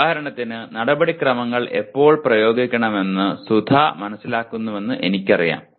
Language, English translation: Malayalam, For example, I know that Sudha understands when the procedure can be applied